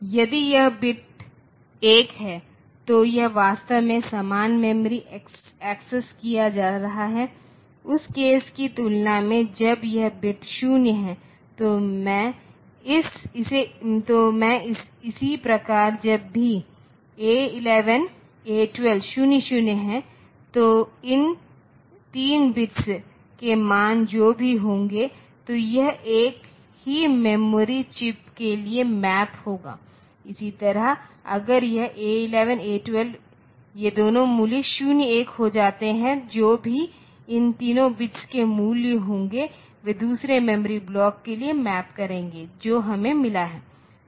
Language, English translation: Hindi, So, whatever will be the values of these three bits, so it will have a map to the same memory chips, similarly if this A 11 A 12 these two values becomes 0 1, whatever be the values of these three bits whatever the values of these three bits they will get map to the second memory block that we have got